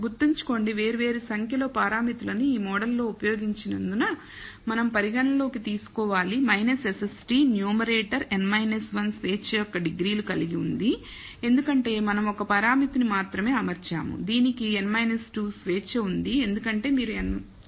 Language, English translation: Telugu, Remember because of the different number of parameters used in the model we have to take that into account the numerator SST has n minus 1 degrees of freedom because we are fitting only one parameter, this has n minus 2 of freedom because you fitting 2 parameters